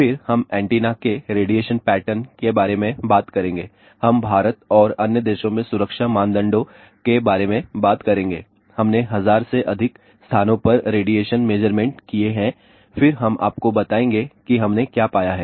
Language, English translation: Hindi, Then, we will talk about radiation pattern of a antenna, we will talk about safety norms in India and in other countries , we have done radiation measurements at more than thousand places then we will tell you what to we have found